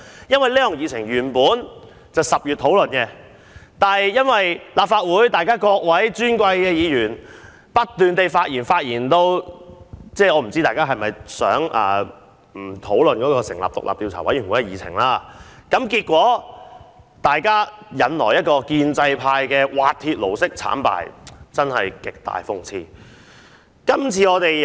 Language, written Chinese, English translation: Cantonese, 因為這項議程原本在10月討論，但因為立法會各位尊貴議員不斷發言，我不知道大家是否不想討論成立獨立調查委員會一事，結果引來建制派滑鐵盧式慘敗，真是極大諷刺。, That is because this agenda item was supposed to be discussed in October but some Honourable Members spoke incessantly I wonder if they did so to avoid the discussion of establishing an independent Commission of Inquiry . Consequently the pro - establishment camp suffered a crushing defeat in this DC Election . This is really ironic